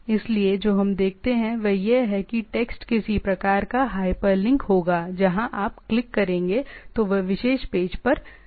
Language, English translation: Hindi, So, what we see that the text will be some sort of a hyperlink where if you click it will go to that particular page